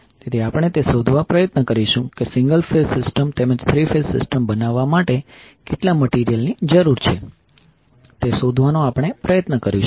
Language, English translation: Gujarati, We will try to find out how much material is required to create the single phase system as well as three phase system